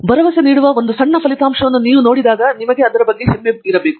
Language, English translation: Kannada, When we see one small result that is promising and we are proud of it